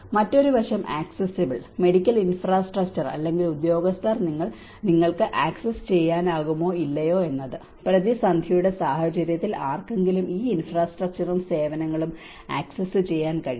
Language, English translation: Malayalam, Another aspect is accessible: Whether the medical infrastructure or the personnel are accessible to you or not, in the event of crisis can someone access these infrastructure and services